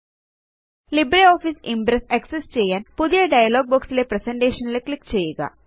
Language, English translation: Malayalam, In order to access LibreOffice Impress, click on the Presentation component